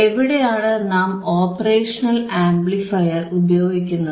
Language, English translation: Malayalam, Where you are using the operational amplifier